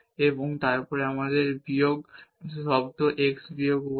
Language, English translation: Bengali, 1 this x minus 1